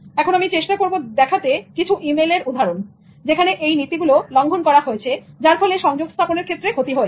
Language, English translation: Bengali, Now, I try to show some email examples that violated all these principles and ended up causing some disaster in terms of communication